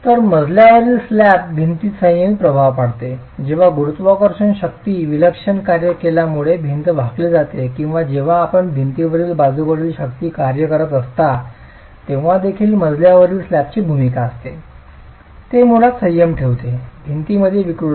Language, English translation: Marathi, So, the floor slab induces a restraining effect on the wall when the wall is subjected to bending due to the gravity forces acting eccentrically or even when you have lateral forces acting on the wall, the role of the flow slab is it basically restrains the deformations in the wall